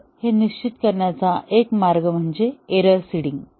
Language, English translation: Marathi, So, one way to determine it is called as error seeding